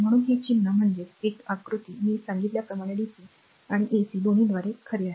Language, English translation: Marathi, So, this symbol this figure one is a true for both dc and ac I have told you right